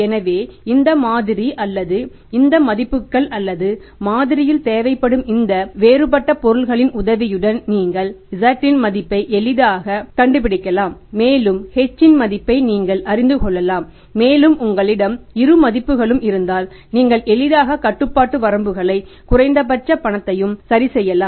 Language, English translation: Tamil, So with the help of this model or these values or these different items required in the model you can easily find out the value of Z and you can find out the value of H and if you have both the values with you then you can easily fix up the control limits minimum cash we know and the maximum we are able to find out, return point we are also able to find out